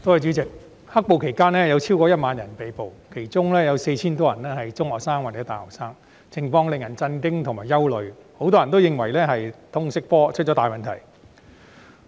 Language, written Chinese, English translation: Cantonese, 代理主席，在"黑暴"期間有超過1萬人被捕，當中 4,000 多人是中學生或大學生，情況令人震驚和憂慮，很多人認為原因是通識科出了大問題。, Deputy President over 10 000 people were arrested during the black - clad violence and more than 4 000 of them were secondary or university students . The situation was shocking and worrying . Many believe this is caused by the problematic subject of Liberal Studies LS